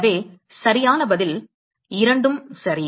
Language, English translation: Tamil, So, the correct answer is: Both are right